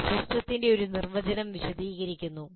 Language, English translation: Malayalam, So that is one definition of system